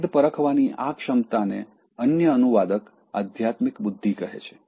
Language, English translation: Gujarati, That sense of discrimination, the other translator calls that as spiritual intelligence